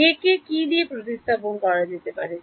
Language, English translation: Bengali, And J can replaced by